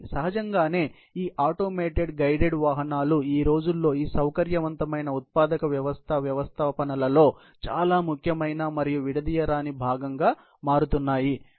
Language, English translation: Telugu, Obviously, these automated guided vehicles are becoming a very important and inseparable part of these flexible manufacturing system installations these days